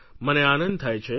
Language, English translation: Gujarati, It makes me happy